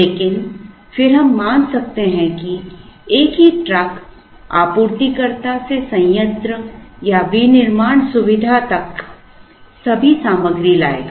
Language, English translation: Hindi, But, then we can assume that the same truck will bring all the material from the supplier, to the plant or the manufacturing facility